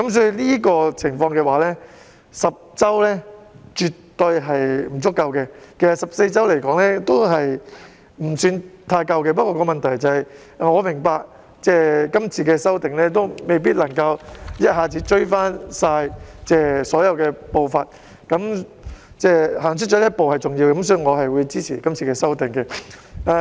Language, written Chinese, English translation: Cantonese, 在這情況下 ，10 周產假絕對是不足夠的，其實14周也未算足夠，但我明白到今次修訂未必能夠一次過追回所有步伐，但踏出這一步便是重要的，所以我是會支持今次對條例的修訂。, Actually a 14 - week leave is not adequate either . I understand that the amendments this time around may not necessarily be able to make up for all the shortfalls but it is an important step forward . For that reason I will support the amendments